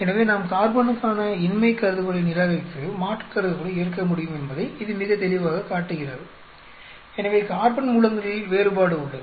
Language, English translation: Tamil, So, it is very clearly showing that, carbon we can reject the null hypothesis accept the alternate, so there is a variation in the carbon sources